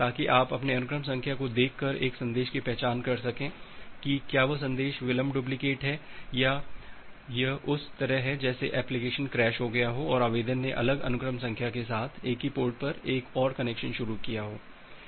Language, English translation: Hindi, So that you can identify a message by looking into your sequence number whether that message is a delayed duplicate or it is just like the application has crashed and the application has initiated another connection at the same port with the different sequence number